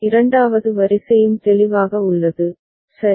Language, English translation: Tamil, Second row is also clear, ok